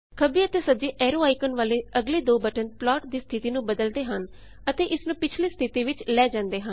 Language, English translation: Punjabi, The next two buttons with left and right arrow icons change the state of the plot and take it to the previous state it was in